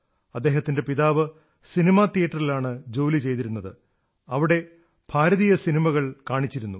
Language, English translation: Malayalam, His father worked in a cinema theatre where Indian films were also exhibited